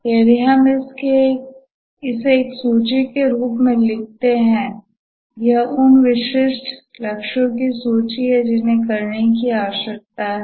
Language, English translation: Hindi, If we write it in the form of a list, it is the list of specific goals, That is what needs to be done